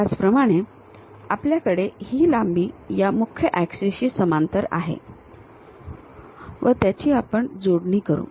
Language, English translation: Marathi, Similarly, we have this length parallel to this principal axis we connect it, this one and this one once that is done